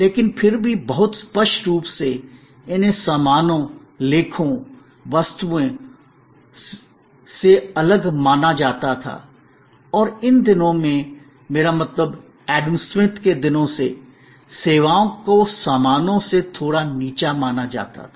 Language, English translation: Hindi, But, yet very distinctly, these were considered different from goods, articles, objects and in those days, I mean right from Adam Smith today, services were considered to be a little inferior to goods